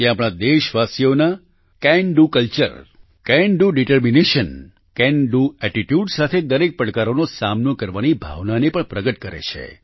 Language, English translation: Gujarati, It also shows the spirit of our countrymen to tackle every challenge with a "Can Do Culture", a "Can Do Determination" and a "Can Do Attitude"